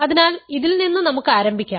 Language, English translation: Malayalam, So, let us start with this ok